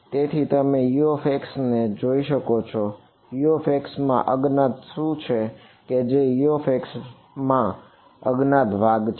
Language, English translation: Gujarati, So, you can see U x what is unknown in U x which is the unknown part in U x